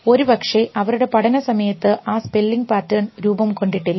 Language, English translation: Malayalam, So, may be when they are learning the pattern of that spelling has not formed